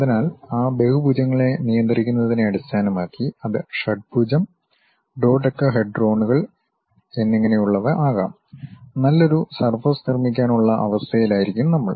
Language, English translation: Malayalam, So, based on controlling those polygons, it can be hexagon, dodecahedrons and so on things, we will be in a position to construct a nice surface